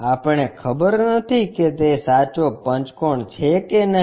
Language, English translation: Gujarati, We do not know whether it is a true pentagon or not